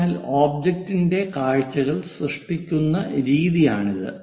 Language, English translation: Malayalam, So, this is the way we generate the views of the object